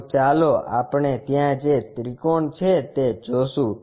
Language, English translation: Gujarati, So, what we will see is a triangle there, which is this